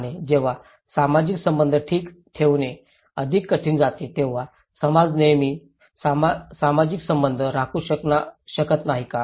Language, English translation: Marathi, And when it is more difficult to maintain social relationship okay, why society cannot always maintain social relationship